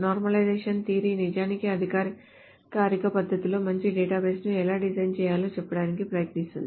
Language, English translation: Telugu, So the normalization theory is actually tries to say how to design a good database in a formal manner